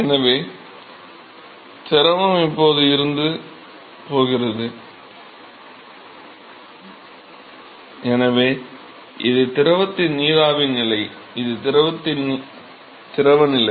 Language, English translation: Tamil, So, the fluid is now going from; so, this is the vapor state of the fluid, and this is the liquid state of the fluid